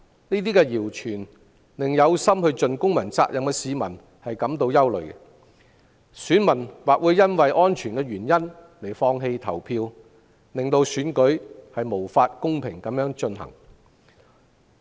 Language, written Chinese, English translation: Cantonese, 這些謠傳令有意盡公民責任的市民感到憂慮，有些選民或會因安全理由而放棄投票，令選舉無法公平進行。, All such rumours have caused anxiety among members of the public who intend to fulfil their civic responsibilities . Some voters may abstain from voting for security reasons making it impossible for the DC Election to be conducted fairly